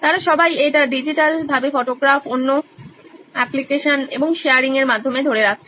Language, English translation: Bengali, They are all capturing it digitally on photograph, another applications and sharing